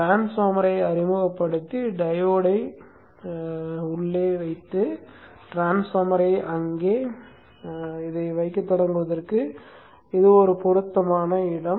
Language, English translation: Tamil, This is an appropriate place where we can introduce the transformer and we will push the diode a bit inside and start placing the transformer there